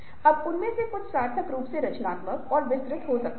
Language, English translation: Hindi, now some of them might be meaningfully creative